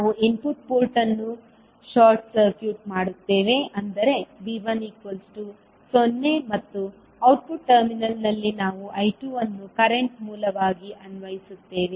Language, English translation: Kannada, Now, you are making output port short circuit means V2 is 0 in this case and you are applying the current source I1 to the input port